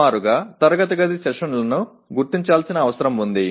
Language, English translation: Telugu, Just roughly the classroom sessions need to be identified